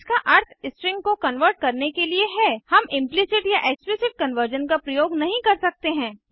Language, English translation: Hindi, This means for converting strings, we cannot use implicit or explicit conversion